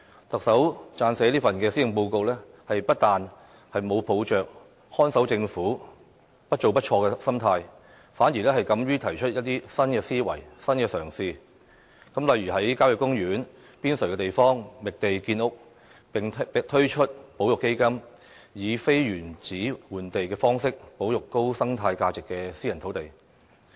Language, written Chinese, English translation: Cantonese, 特首撰寫這份施政報告，不但沒有抱着"看守政府"、"不做不錯"的心態，反而敢於提出一些新思維、新嘗試，例如在郊野公園邊陲地方覓地建屋，並推出保育基金、以"非原址換地"方式保育高生態價值的私人土地。, Adopting neither the mentality of a guardian government nor that of no action no mistake the Chief Executive dared to put forth certain new ideas and new attempts in composing this years Policy Address such as identifying sites from the land on the periphery of country parks for housing construction setting up a conservation fund and conserving private land of high ecological value via non - in situ land exchange